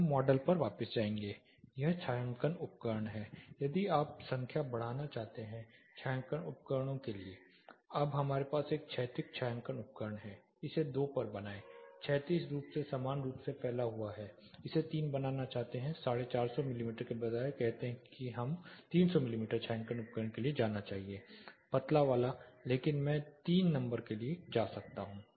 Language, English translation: Hindi, We will go back to the model this shading device is there, if you want to increase the number of shading devices now we have a horizontal shading device make it to 2 horizontal it evenly spreads out want to make it 3 instead of 450 mm say let us go for a 300 mm shading device the thin one, but I can go for 3 numbers